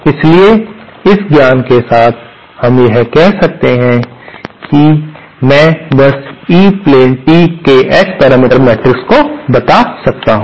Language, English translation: Hindi, So, with this knowledge, we can, I am just simply stating the S parameter matrix of the E plane tee